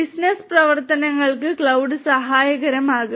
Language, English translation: Malayalam, For business operations cloud will be helpful